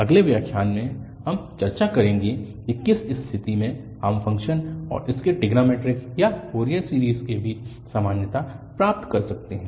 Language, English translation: Hindi, In the next lecture, we will discuss under what condition we can have the equality between the function and its trigonometric or the Fourier series